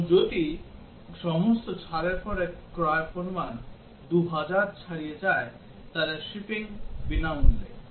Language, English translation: Bengali, And if the purchase amount after all discounts exceeds 2000, then shipping is free